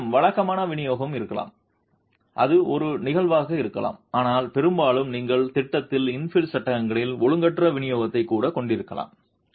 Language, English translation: Tamil, You might have a regular distribution that could be one case but often you can even have an irregular distribution of infill panels in plan